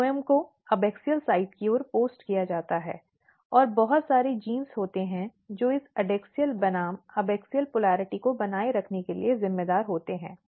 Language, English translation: Hindi, So, xylem is positioned towards the adaxial sides phloem is positioned towards the abaxial side and there are lot of genes which is responsible for maintaining this polarity adaxial versus abaxial polarity